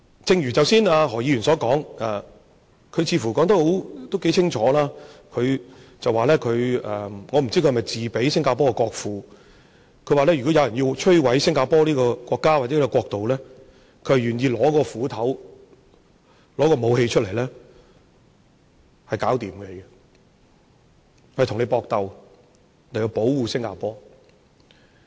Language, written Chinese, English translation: Cantonese, 正如何議員剛才的發言，他似乎說得頗清楚，我不知道他是否自比新加坡的國父，他說，如果有人要摧毀新加坡這個國家，或者說這個國度，他願意用斧頭，拿武器出來跟你搏鬥，以保護新加坡。, Just like what Dr HO has said just now he seemed to have made it quite clear . I do not know whether he is comparing himself to the founding father of Singapore who said that if anybody wanted to destroy Singapore or badmouth this country he was willing to stand out and use axes and arms to fight in order to protect Singapore